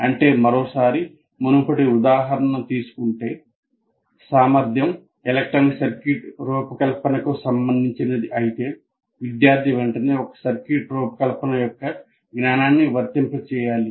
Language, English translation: Telugu, That means, once again taking the earlier example, if the goal, if the competency is related to designing an electronic circuit, the student should immediately apply that knowledge of designing a circuit, however simple it is